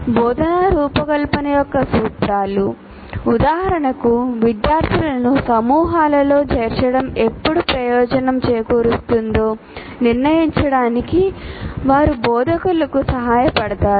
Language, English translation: Telugu, At least the principles of instructional design would give some indications when it would benefit students to be put into groups